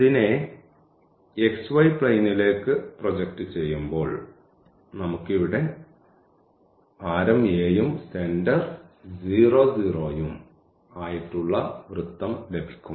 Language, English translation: Malayalam, So, in the xy plane this will be a circle of radius a center at 0